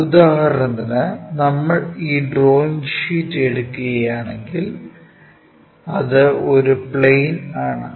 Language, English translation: Malayalam, For example, if we are taking this drawing sheet, it is a plane